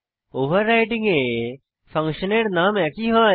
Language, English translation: Bengali, In overloading the function name is same